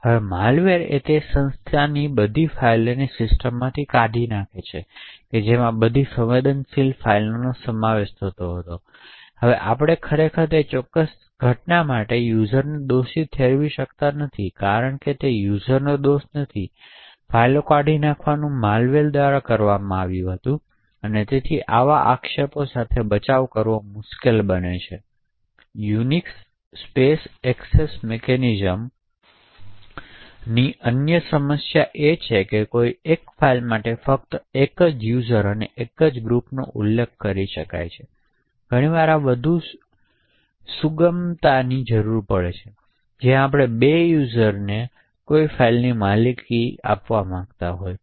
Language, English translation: Gujarati, Now a malware deletes all the files of that particular organisation from that system, including all the sensitive files, now we cannot actually blame the user for that particular incident because it is not the users fault, the deletion of the files was done by the malware and therefore defending against such allegations becomes difficult, another problem with the Unix space access control mechanisms is that only one user and one group can be specified for a particular file, often we would require more flexibility where we want two users to own a particular file and this is not always possible with the Unix file systems